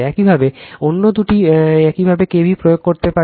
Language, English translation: Bengali, Similarly, other two , you can apply the k v l